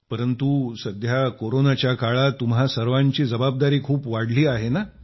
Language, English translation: Marathi, But during these Corona times, your responsibilities have increased a lot